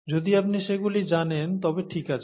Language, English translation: Bengali, If you know them then it’s fine